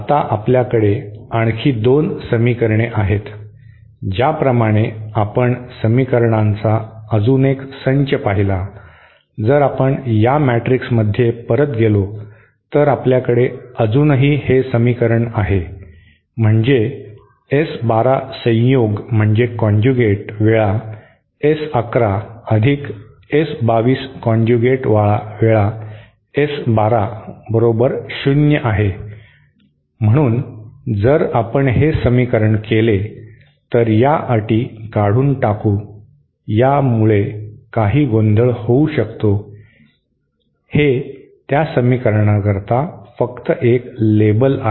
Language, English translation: Marathi, Now we have another 2 equations as we saw so 1 other set of equation 1 another equation from this matrix if we go back to this matrix we still have this equation that is S 1 2 conjugate times S 1 1 plus S 2 2 conjugate times S 1 2 is equal to 0, so if we equate this let me rub out these these terms these might create some confusion, this is just a label for those equations